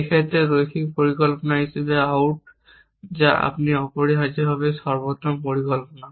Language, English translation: Bengali, In this case it terms out to be linear plan which you are also the optimal plan essentially